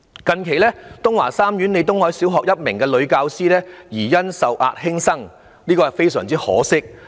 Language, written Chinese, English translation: Cantonese, 近期東華三院李東海小學的一名女教師疑因受壓輕生，這是非常可惜的。, Recently a female teacher of the Tung Wah Group of Hospitals Leo Tung - hai LEE Primary School committed suicide allegedly out of stress . It is a very unfortunate incident